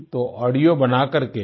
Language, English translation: Hindi, So make an audio and…